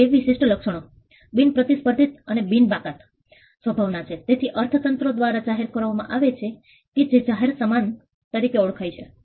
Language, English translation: Gujarati, These two traits non rivalrous and non excludable nature is something that is shared by what economy is called public goods